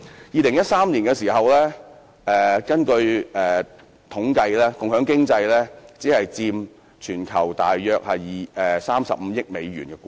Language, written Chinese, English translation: Cantonese, 2013年，有統計顯示共享經濟只佔全球約35億美元的估值。, In 2013 it was indicated in a survey that the estimated worth of sharing economy worldwide was merely about USD3.5 billion